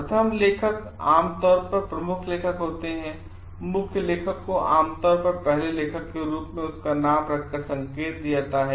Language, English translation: Hindi, First author is usually the lead author the lead author is usually indicated by keeping his name as the first author